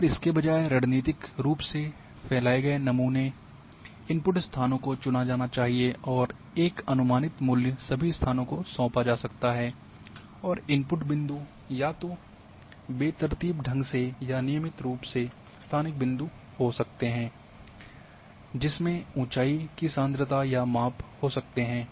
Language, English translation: Hindi, And instead strategically dispersed sample input locations can be selected and a predicted value can be assigned to all locations and input points can be either randomly or regularly space points containing heights concentration or magnitude measurements